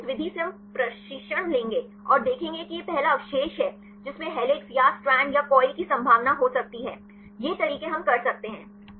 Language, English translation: Hindi, Then at the method we will train and see this is a first residue could have the probability of helix or strand or coil; these ways we can do